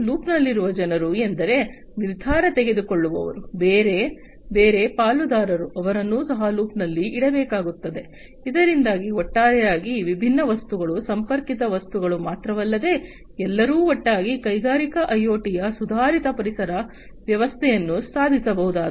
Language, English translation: Kannada, People in the loop means, like decision makers, different other stakeholders, they will be also have to be kept in loop, so that overall not only these different objects, the connected objects, but everybody together will be achieving the improved ecosystem of industrial IoT